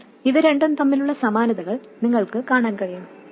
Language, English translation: Malayalam, Now you can see the similarities between these two